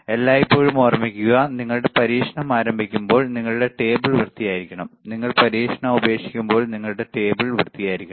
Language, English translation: Malayalam, Always remember, when you start the experiment, your table should be clean; when you leave the experiment your table should be clean, right